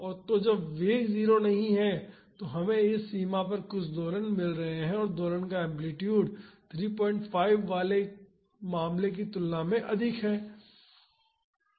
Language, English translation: Hindi, So, when the velocity is not 0 we are getting some oscillation at this range and the amplitude of the oscillation is higher compared to 3